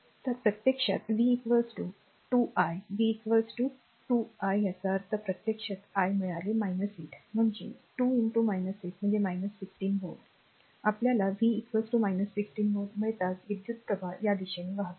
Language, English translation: Marathi, So, v is equal to actually 2 i v is equal to 2 i ; that means, actually original i I got minus 8 that is 2 into minus 8 , that is minus 16 volt, right minus 16 volt